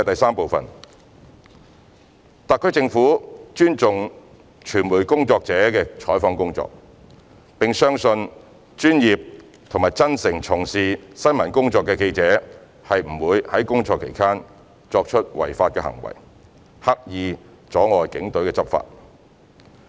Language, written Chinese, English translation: Cantonese, 三特區政府尊重傳媒工作者的採訪工作，並相信專業和真誠從事新聞工作的記者不會在工作期間作出違法行為，刻意阻礙警隊執法。, 3 The HKSAR Government respects the work of reporting by media practitioners and believes that professional and bona fide journalists would not participate in illegal acts or intentionally obstruct police enforcement while covering events